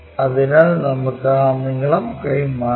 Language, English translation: Malayalam, So, let us transfer that lengths